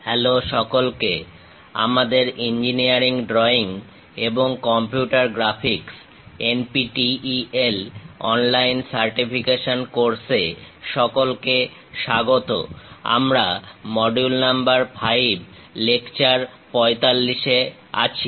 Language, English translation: Bengali, MODULE 02 LECTURE 45: Sections and Sectional Views Hello everyone, welcome to our NPTEL online certification courses on Engineering Drawing and Computer Graphics; we are at module number 5, lecture 45